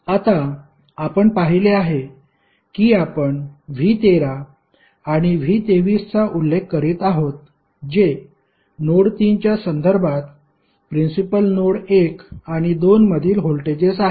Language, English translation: Marathi, Now, we have seen that we are mentioning V 13 and V 23 that is the voltages at principal node 1 and 2 with respect to node 3